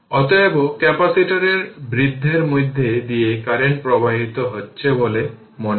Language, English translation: Bengali, Therefore, current appears to flow through the capacitor rise